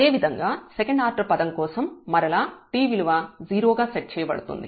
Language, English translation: Telugu, Similarly, for the second order term again t will be set to 0